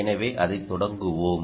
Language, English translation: Tamil, so let's do that